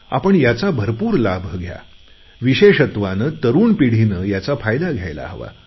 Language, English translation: Marathi, Please make full use of this facility; especially the younger generation must utilize it optimally